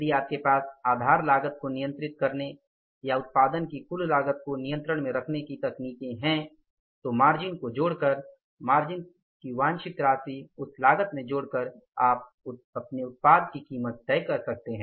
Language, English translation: Hindi, If you have the, say that the techniques, the ways, the means to control the costs or keep your total cost of production under control, then adding up the margin, desired amount of the margin into that cost, you can price the product